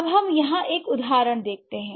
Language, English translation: Hindi, So, now let's look at an example here, right